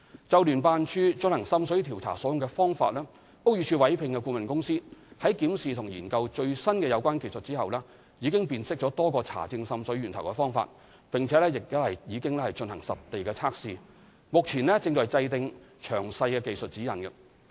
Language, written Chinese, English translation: Cantonese, 就聯辦處進行滲水調查所用的方法，屋宇署委聘的顧問公司，在檢視及研究最新的有關技術之後，已辨識多個查證滲水源頭的方法，並已進行實地測試，目前正制訂詳細技術指引。, On the tests adopted by JO in investigating water seepage the consultant engaged by BD has upon examining and researching into the latest technological methods identified various methods for identifying sources of water seepage conducted field tests and is now formulating detailed technical guidelines